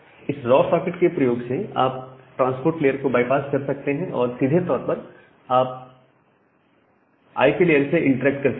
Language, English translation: Hindi, Using the raw socket, you can actually bypass the transport layer and you can directly in turn interact with the IP layer